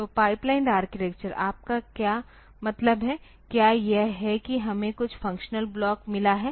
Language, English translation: Hindi, So, pipelined architecture, what do you mean by that, is that suppose we have got some functional block, ok